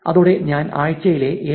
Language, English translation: Malayalam, With that I will stop the 7